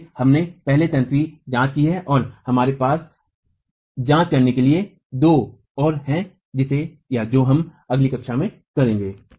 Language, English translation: Hindi, So, we have examined the first of the mechanisms and we have two more to examine which we will do in the next class